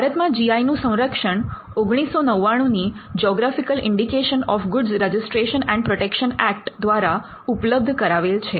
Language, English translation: Gujarati, GI in India is protected by geographical indication of goods registration and protection Act of 1999